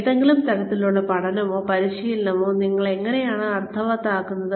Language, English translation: Malayalam, How do you make any type of learning or training meaningful